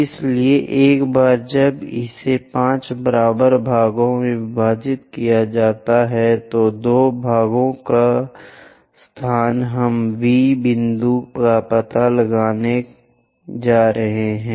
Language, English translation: Hindi, So, once it is divided into 5 equal parts, two parts location we are going to locate V point